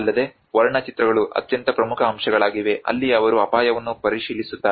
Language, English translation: Kannada, \ \ \ Also, the paintings are most important elements that is where they keeps check to the risk